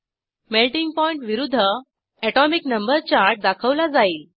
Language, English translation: Marathi, A chart of Melting point versus Atomic number is displayed